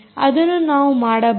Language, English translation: Kannada, right, you can do that